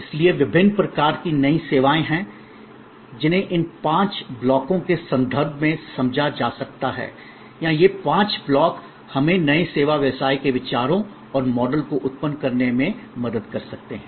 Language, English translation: Hindi, So, there are different kinds of new services which can be understood in terms of these five blocks or these five blocks can help us to generate new service business ideas and models